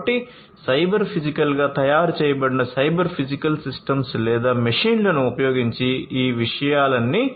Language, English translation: Telugu, So, all of these things could be performed using cyber physical systems attached to or you know or rather machines, which have been made cyber physical